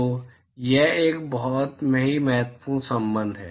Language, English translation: Hindi, So, this is a very, very important relationship